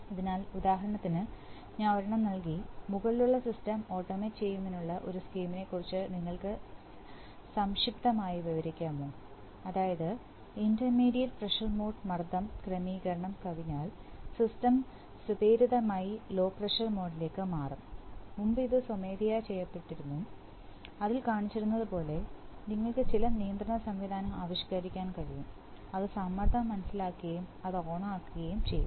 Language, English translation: Malayalam, So, for example I have given one, can you briefly describe a scheme to automate the above system such that whenever in the intermediate pressure mode pressure setting is exceeded the system would automatically switch to the low pressure mode, previously it was being done manually as it is shown in that, so you can devise a some control mechanism by which it will sense the pressure and it will switch on